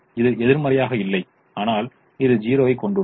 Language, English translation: Tamil, it's not negative, it has a zero